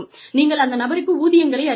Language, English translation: Tamil, You have to give the person, salaries